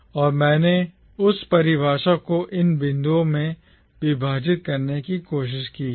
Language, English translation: Hindi, And I have sort of tried to divide that definition into these points